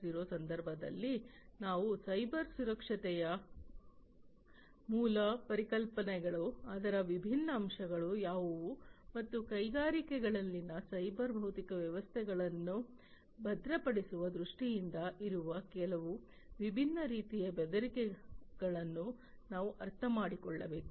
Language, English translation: Kannada, 0 we need to understand the basic concepts of Cybersecurity, what are the different elements of it, and some of the different types of threats that are there in terms of securing the cyber physical systems in the industries